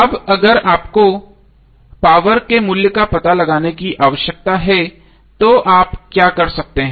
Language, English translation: Hindi, Now if you need to find out the value of power what you can do